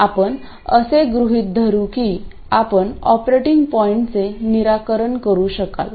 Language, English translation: Marathi, We will assume that you will be able to solve for the operating point